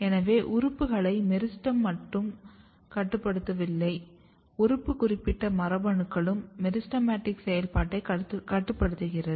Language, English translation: Tamil, So, it is not only that the meristem is regulating the organ, but the organ specific genes are also regulating the meristematic activity